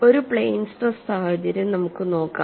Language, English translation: Malayalam, Let us look at for a plane stress situation